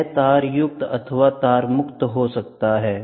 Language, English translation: Hindi, It can be wired or it can be wireless